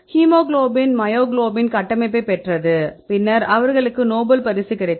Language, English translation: Tamil, that the hemoglobin myoglobin they got the structure, then they got the nobel prize